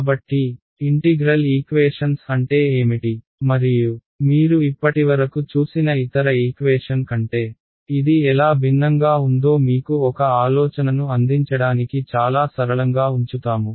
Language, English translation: Telugu, So, we will keep it very very simple to give you an idea of what exactly is an integral equation and how is it different from any other kind of equation you have seen so far right